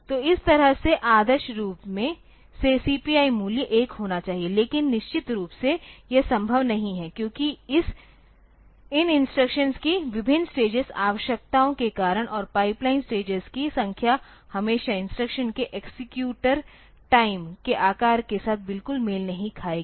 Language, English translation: Hindi, So, that way the ideally the CPI value should be 1, but it is not possible definitely it is not possible because of the different stage requirements of these instructions and the number of pipeline stages will not always match exactly with the size of the executor time of the instruction